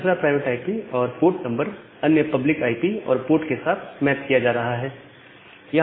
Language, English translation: Hindi, The second private IP and the port is mapped to another public IP and the port